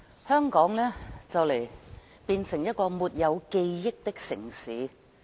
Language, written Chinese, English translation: Cantonese, 香港將會變成一個沒有記憶的城市。, Hong Kong will become a city without memory